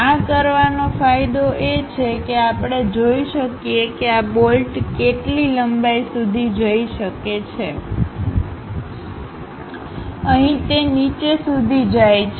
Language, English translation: Gujarati, By doing this the advantage is, we can clearly see up to which length this bolt can really go; here it goes all the way down